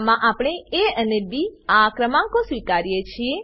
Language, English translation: Gujarati, In this we accept the numbers a and b